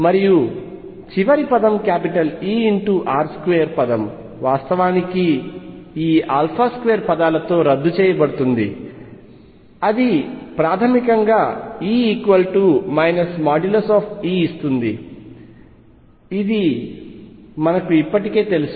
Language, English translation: Telugu, And the last term E r square term would actually cancel with this alpha square term that basically it give me E equals minus mod E which we already know